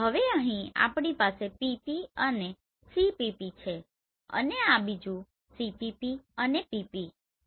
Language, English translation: Gujarati, Now here we have PP, CPP and this is another CPP and PP right